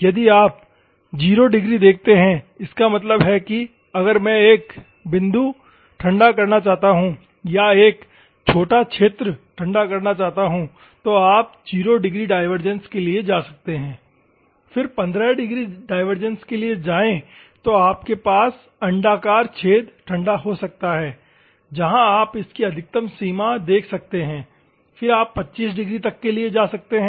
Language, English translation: Hindi, If you see the 0 Degree; that means, that if I want at a point cooling or a small area cooling, then you can go for 0 degrees divergence, then the 15 degrees divergence you can have an elliptical type of hole where you can see the maximum range of this will be approximately 15 degrees, then you can go for 25 degrees